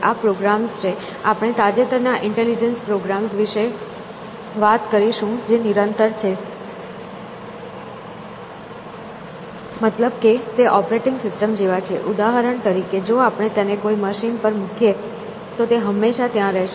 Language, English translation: Gujarati, So, these are programs; we will talk of intelligence recent programs which are persistent which means like the operating systems, for example; if we leave a machine on that is exist all the times essentially